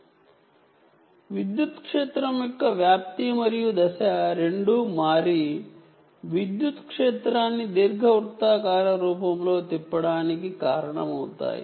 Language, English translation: Telugu, in this case, the amplitude as well as phase of the electric field change and cause the electric field to rotate in an elliptic form